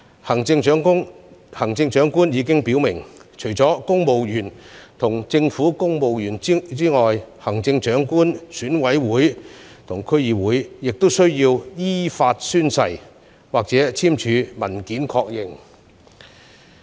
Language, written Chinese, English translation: Cantonese, 行政長官已經表明，除公務員和政府官員外，行政長官選舉委員會和區議會的成員均須依法宣誓或簽署文件確認。, As stated by the Chief Executive in addition to civil servants and government officials members of the Election Committee of the Chief Executive Election and DCs shall also take an oath or confirm in writing in accordance with the law